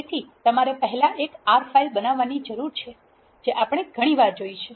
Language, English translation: Gujarati, So, you need to first create an R file which we have seen several times